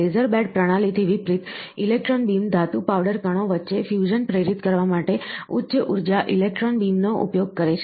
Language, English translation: Gujarati, In contrast to laser bed systems, electron beam uses high energy electron beam to induce fusion between the metal powder particles